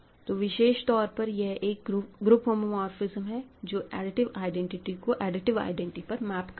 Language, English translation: Hindi, It is a ring homeomorphism; in particular, it is a group homomorphism and it sends the additive identity to additive identity